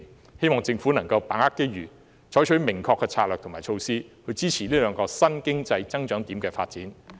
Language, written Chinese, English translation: Cantonese, 我希望政府可以把握機遇，採取明確的策略和措施，支持這兩個新經濟增長點的發展。, I hope the Government can seize the opportunity and adopt clear strategies and measures to support the development of these two new areas of economic growth